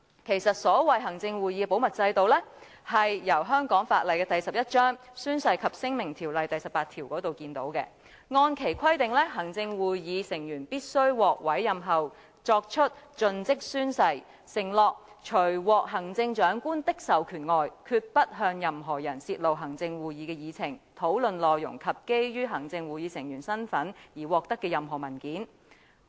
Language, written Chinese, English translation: Cantonese, 其實，行會的保密制度由香港法例第11章《宣誓及聲明條例》第18條可見，按其規定，行會成員須於獲委任後作出盡職誓言，承諾除獲行政長官的授權外，決不向任何人泄露行政會議的議程、討論內容及基於行會成員身份而獲得的任何文件。, Actually we can see the confidentiality system through section 18 of the Oaths and Declarations Ordinance Cap . 11 . In accordance with its provisions a member of the Executive Council shall take the oath of fidelity after his appointment undertaking that with the exception of being authorized by the Chief Executive they will not disclose the Executive Council agendas to anybody discuss the details and any documents obtained in the capacity of Executive Council members